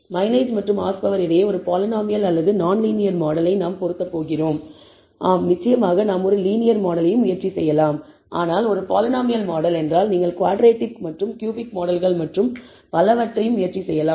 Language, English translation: Tamil, We are going to fit a polynomial or a non linear model between mileage and horsepower, yeah of course we can also try a linear model, but a polynomial model means you can also try quadratic and cubic models and so on, so forth